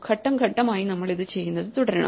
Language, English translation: Malayalam, We have to keep doing this step by step